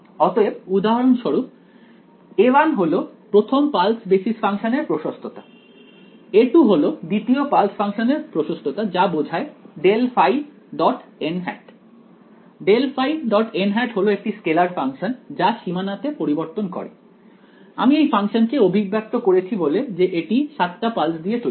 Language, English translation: Bengali, So, a 1 for example, will be the amplitude of the first pulse basis function a 2 will be the amplitude of the second pulse function that corresponds to grad phi dot n hat grad phi dot n hat is a scalar its a scalar function that varies on this boundary right, I am expressing this function by saying that it is made up of 7 pulses